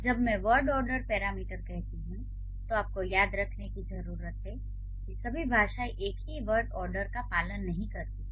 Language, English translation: Hindi, If you, I will give you when I say word order parameter you need to remember not all languages follow, not all languages follow same like the same word order